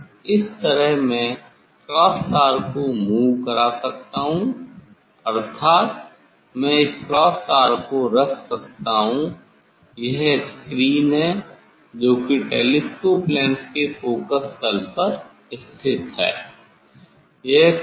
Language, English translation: Hindi, Now, this way I can move the cross wire means I have to put this cross wire that is screen at the focal plane of this telescope lens